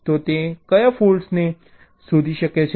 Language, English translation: Gujarati, so what are the faults it can detect